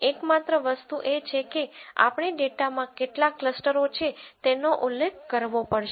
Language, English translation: Gujarati, The only thing is we have to specify how many clusters that are there in the data